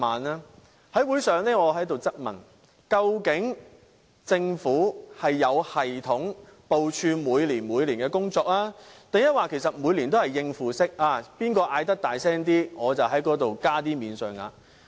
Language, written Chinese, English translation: Cantonese, 我在會上質問，究竟政府是有系統地部署每年的工作，還是每年也是應付式，誰喊得大聲，便在有關部分增加免稅額？, I queried during the meeting if the Government has any systematic distribution plans annually or it is merely responding to any parties who make the loudest complaints by giving them the greatest amount of additional allowances?